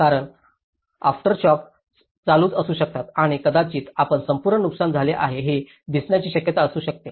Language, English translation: Marathi, Because aftershocks might keep coming on and there might be a possibility that you can see that whole damage has been occurred